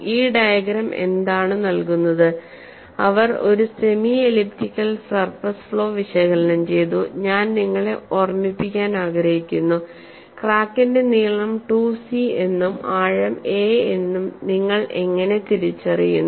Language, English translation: Malayalam, And what this diagram gives is, they have analyzed a semi elliptical surface flaw and I just want to remind you that, how you identify the crack length as 2 c and depth as a